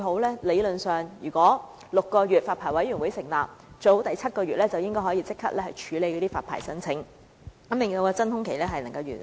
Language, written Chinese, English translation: Cantonese, 理論上，如果發牌委員會在法例生效6個月後成立，最好第七個月便能處理發牌申請，縮短真空期。, In theory if the Licensing Board is formed six months after the enactment of the relevant legislation it would be ideal if the Board can process the applications in the seventh month so as to shorten the vacuum period